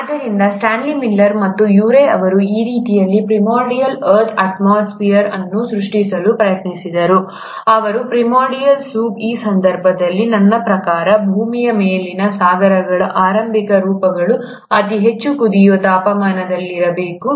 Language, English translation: Kannada, So what did Stanley Miller and Urey did is that they tried to create this kind of a primordial earth atmosphere, or the primordial soup, in this case I mean the early forms of oceans on earth which must have been at a very high boiling temperatures, and created that in a laboratory setup